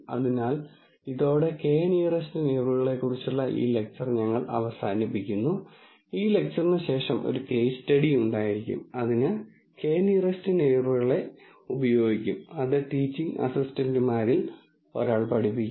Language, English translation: Malayalam, So, with this we come to an end of this lecture on k nearest neighbors and following this lecture there will be a case study, which will use k nearest neighbor that will be taught by one of the teaching assistants